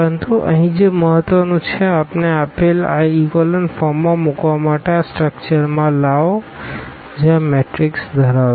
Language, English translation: Gujarati, But, what is important here to put into this echelon form we have bring into this structure which this matrix has